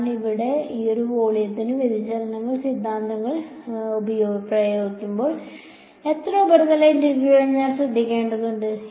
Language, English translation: Malayalam, Then when I apply the divergence theorem to this volume over here, how many surface integrals will I have to take care of